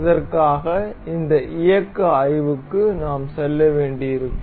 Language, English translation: Tamil, For this, we will have to go this motion study